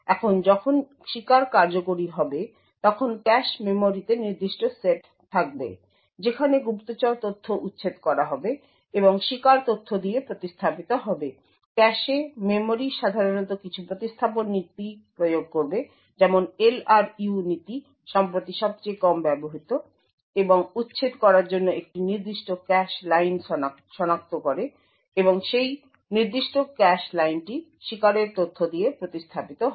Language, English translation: Bengali, Now when the victim executes there will be certain sets in the cache memory, where the spy data would be evicted and replaced with the victim data, cache memory would typically implement some replacement policy such as the LRU policy and identify a particular cache line to evict and that particular cache line is replaced with the victim data